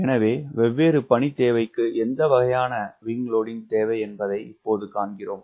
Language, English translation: Tamil, so we are now seeing that what sort of wing loading is required for different machine requirement